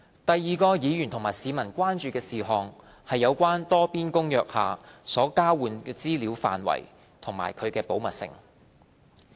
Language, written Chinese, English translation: Cantonese, 第二個議員和市民關注事項是有關《多邊公約》下所交換的資料範圍及其保密性。, Secondly Members and the public are concerned about the scope of information exchanges under the Multilateral Convention and the confidentiality issue